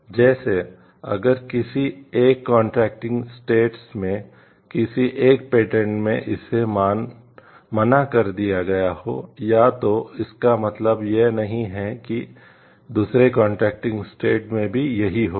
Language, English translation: Hindi, Like, if it has been refused or granted in one of the patent in one of the contracting state does not mean the same fate is awaited in other contracting states